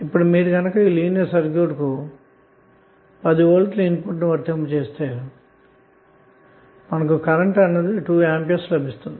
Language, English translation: Telugu, Now if you have applied 10 volt to the input of linear circuit and you got current Is 2 ampere